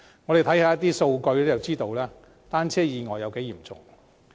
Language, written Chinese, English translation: Cantonese, 我們看看數據便可得知單車意外有多嚴重。, A look at statistics will give us a clear picture of the seriousness of bicycle accidents